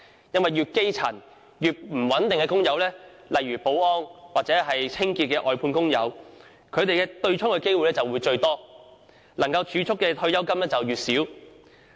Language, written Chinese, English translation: Cantonese, 越基層、工作越不穩定的工友，例如保安或清潔外判工友，他們被對沖的機會最多，能夠儲蓄的退休金亦較少。, The grass - roots workers and those in unstable employment such as security guards and cleaners under outsourcing contracts are most susceptible to the effect of the offsetting arrangement and the amount they can save for their retirement is relatively small